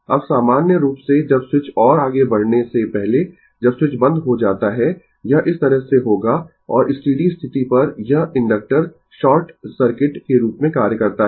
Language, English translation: Hindi, Now, your in general when the switch before moving further, when the switch is closed it will be like this and at steady state, this inductor acts as a short circuit, right